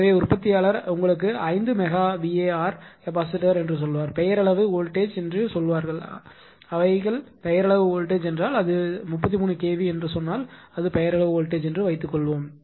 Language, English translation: Tamil, So, manufacturer will give you say 5 megawatt capacitor right and they will say nominal voltage nominal voltage means suppose if it is written say 33 kv right it is a nominal voltage